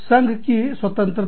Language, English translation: Hindi, Freedom of association